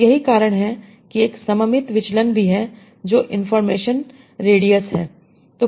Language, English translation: Hindi, So, that's why there is symmetric divergence also that is information radius